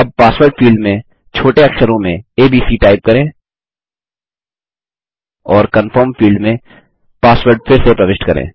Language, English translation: Hindi, Now, in the Password field, lets enter abc, in the lower case, and re enter the password in the Confirm field